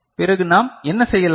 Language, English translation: Tamil, Then what we shall do